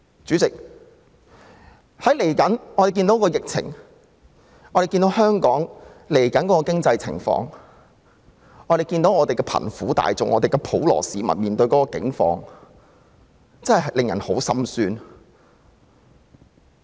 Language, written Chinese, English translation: Cantonese, 主席，疫情將會影響香港未來的經濟情況，眼見貧苦大眾和普羅市民現時的境況，實在令人十分心酸。, Chairman the outbreak of the epidemic will have impacts on the future economic situation of Hong Kong and it is very sad to see the plight of the poor people and the general public